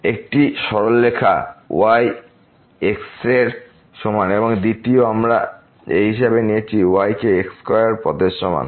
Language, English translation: Bengali, One the straight line is equal to and the second, we have taken this is equal to square paths